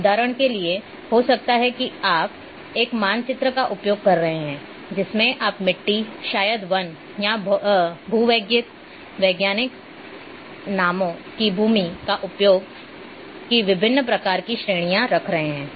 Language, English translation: Hindi, For examples maybe you might be using a map in which you are keeping different types of categories of land use maybe soil maybe forest or geological names